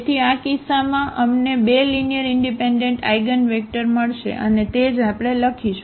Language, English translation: Gujarati, So, in this case we will get two linearly independent eigenvectors, and that is what we write